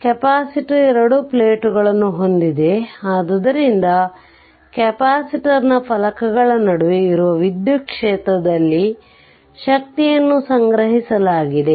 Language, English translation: Kannada, That you have capacitor you have two plates, so energy stored in the, what you call in the electric field that exist between the plates of the capacitor